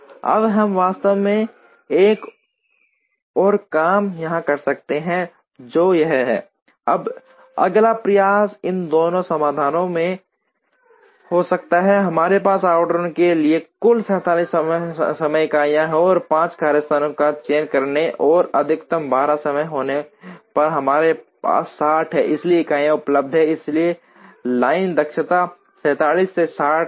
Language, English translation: Hindi, Now, we can actually do another thing here which is this, now the next effort can be in both these solutions, we have a total of 47 time units for allocation and by choosing 5 workstations and having a maximum time of 12, we have 60 time units available, so the line efficiency was 47 by 60